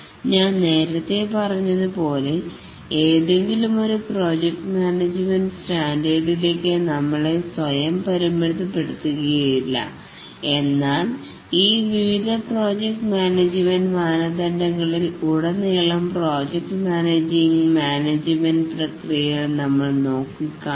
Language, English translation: Malayalam, As I told earlier, we will not restrict ourselves to any one project management standard, but we look at these various processes, the project management processes across all these different project management standards